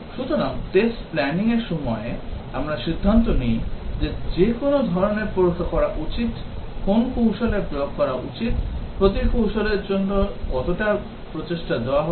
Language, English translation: Bengali, So, during test planning, we decide which types of tests, which strategies to deploy, how much effort to be given for each strategy